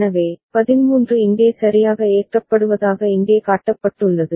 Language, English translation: Tamil, So, that is what has been shown here as 13 getting loaded right